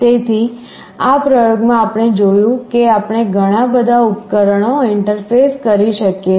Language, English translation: Gujarati, So, in this experiment what we have seen is that we can have multiple devices interfaced